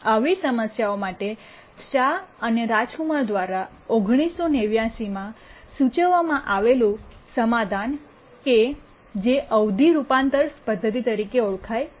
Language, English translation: Gujarati, So a solution proposed proposed by Shah and Rajkumar known as the period transformation method, 1998